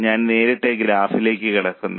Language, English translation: Malayalam, And I will directly go to graph now